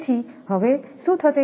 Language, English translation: Gujarati, Therefore, what will happen